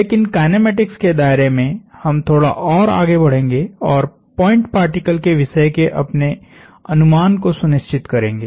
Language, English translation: Hindi, But within the realm of kinematics we are going to move on and relax our assumption of point particle